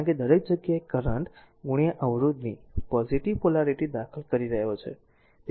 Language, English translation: Gujarati, Because everywhere you will see currents are entering to the positive polarity